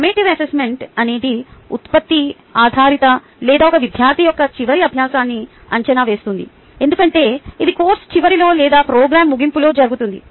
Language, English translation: Telugu, summative assessment is more of a product oriented ah, or it assesses the students, final learning, because it happens at the end of the course or the end of the program